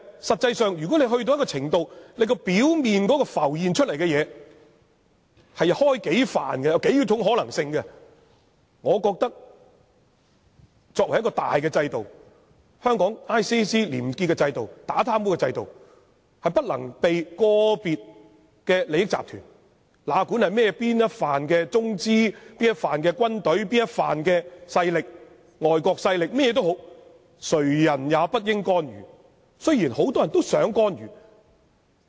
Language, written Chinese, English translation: Cantonese, 實際上，如果到了一種程度，表面浮現出數種可能性，我認為作為一種大制度，香港廉署廉潔的制度、打貪污的制度，是不能被個別的利益集團——哪管是中資集團、軍隊或外國勢力——作出干預，雖然很多人都想干預。, In practice if it comes to a stage when a number of possibilities surface I think we must ensure that the major system of ICAC in Hong Kong a clean system against corruption is not unduly influenced by individual corporations with vested interest whether they are Chinese - capital corporations the military or overseas forces . Well many people may want to exert influence I know